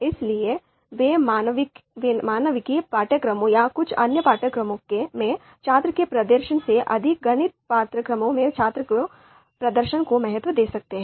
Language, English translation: Hindi, So therefore, they might value performance of students in mathematics courses more than the performance of student in humanities courses or some other courses